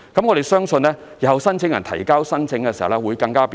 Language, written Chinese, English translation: Cantonese, 我們相信日後申請人提交申請時會更為便利。, We trust that applicants will find it more convenient to submit their applications in the future